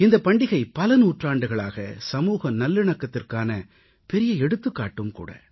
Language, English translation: Tamil, For centuries, this festival has proved to be a shining example of social harmony